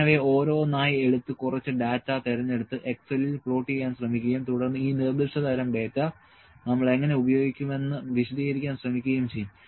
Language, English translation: Malayalam, I will take them one by one and try to pick some data and try to plot these in excel and try to explain you that how do we use these specific kind of data